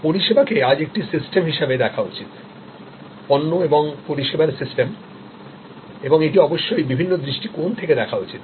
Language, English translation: Bengali, That service today must be thought of as a system, product service system and it must be looked at from different perspectives